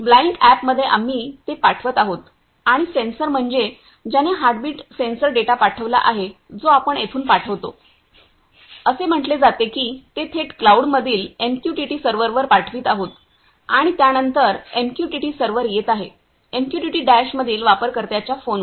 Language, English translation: Marathi, In the Blynk app we are sending that and the sensor I mean send the heartbeat sensor heartbeat data which we are sending from here, it is say it is directly sending to the MQTT server in the cloud and after that the MQTT server, it is coming to the user’s phone in MQTT Dash